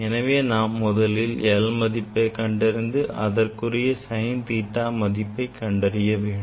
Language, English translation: Tamil, we will take reading of this l small l then we will be able to calculate sine theta